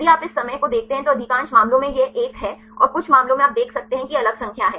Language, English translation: Hindi, If you look into the here this time occupancy most of the cases it is one and some cases you see there is a different numbers